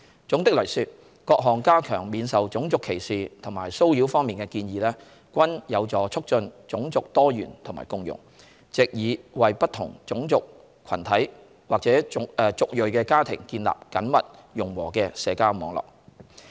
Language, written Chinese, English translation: Cantonese, 總的來說，各項加強免受種族歧視和騷擾方面的建議均有助促進種族多元和共融，藉以為不同種族群體或族裔的家庭建立緊密融和的社交網絡。, All in all the proposed enhancement of protection from racial discrimination and harassment also promotes racial diversity and harmony thereby creating a cohesive social network for families of different racial groups or ethnic origins